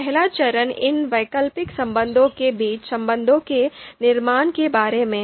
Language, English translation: Hindi, So first phase is about construction of these outranking relations between the alternatives